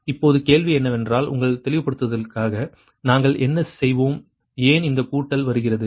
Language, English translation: Tamil, now question is that, for your clarification, what we will do, that why this summation thing comes right